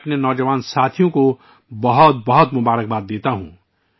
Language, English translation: Urdu, I congratulate my young colleagues for this wonderful achievement